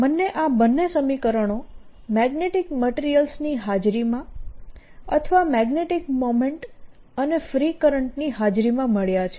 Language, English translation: Gujarati, so i have got these two equations in presence of magnetic material, or in presence of magnetic moment and free currents